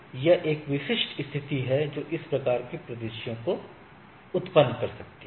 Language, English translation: Hindi, So, this is a typical situation which may arise in this sort of scenarios